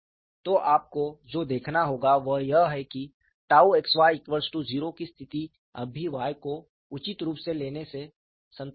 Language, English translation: Hindi, So, what will have to look at is, the condition tau xy equal to 0 is still satisfiable by taking Y appropriate